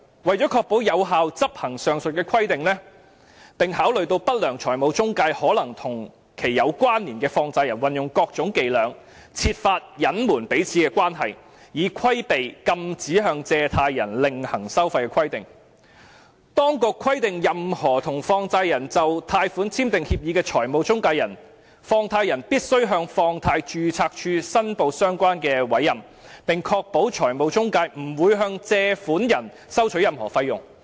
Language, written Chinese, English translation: Cantonese, 為了確保有效執行上述規定，並考慮到不良財務中介可能和其有關連的放債人運用各種伎倆，設法隱瞞彼此的關係，以規避禁止向借款人另行收費的規定，當局規定任何與放債人就貸款簽訂協議的財務中介人，放債人必須向放債人註冊處申報相關的委任，並確保財務中介不會向借款人收取任何費用。, To ensure effective enforcement of the said ban on separate fee charging and since unscrupulous financial intermediaries and related money lenders may resort to different practices to conceal their relationship so as to circumvent the ban on separate fee charging on borrowers the authorities require that if money lenders have signed any agreement with financial intermediaries for loans the money lenders must report such appointment to the Registrar of Money Lenders and ensure that the financial intermediaries will not charge any fees on the borrowers